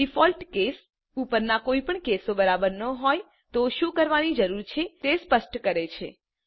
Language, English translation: Gujarati, Default case specifies what needs to be done if none of the above cases are satisfied